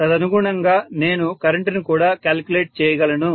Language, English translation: Telugu, So correspondingly I would be able to calculate the current as well